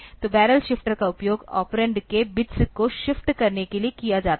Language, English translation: Hindi, So, barrel shifter is used for shifting the bits of the operand